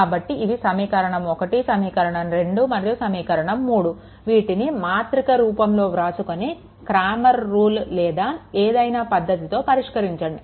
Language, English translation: Telugu, So, equation 1; equation 1, 2 and equation 3, you have to solve, if you make it in matrix form and solve any way Clammer’s rule and anyway you want, right